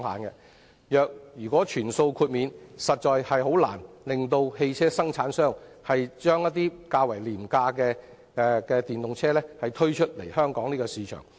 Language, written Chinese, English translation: Cantonese, 如全數豁免的話，汽車生產商實在難以把較廉價的電動車推出香港市場。, A full FRT exemption will make it difficult for car manufacturers to introduce relatively low - priced electric vehicles into the Hong Kong market